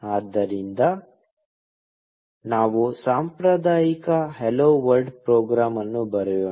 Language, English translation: Kannada, So, let us write the customary hello world program